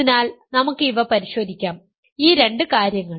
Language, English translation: Malayalam, So, let us check these things, two things